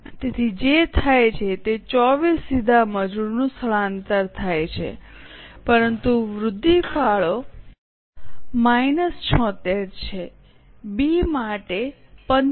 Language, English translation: Gujarati, So, what happens is direct labor shifted is 24 but the incremental contribution is minus 76